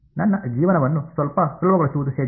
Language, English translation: Kannada, How can I make my life a little bit easier